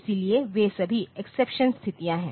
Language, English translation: Hindi, So, they are all exceptional situations